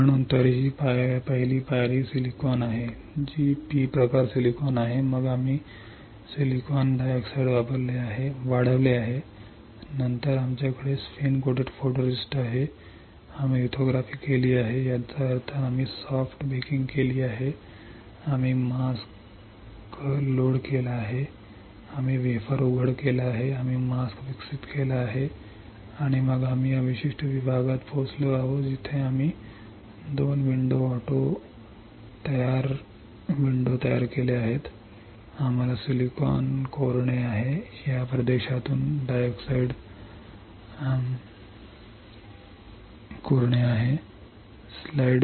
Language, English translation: Marathi, So, anyway, first step is silicon which is P type silicon then we have grown silicon dioxide, then we have spin coated photoresist, we have performed lithography; that means, we have done soft baking, we have load the mask, we have exposed the wafer, we have developed the mask and then we have reached to this particular section where we have created 2 windows auto creating window we have to etch the silicon dioxide from this region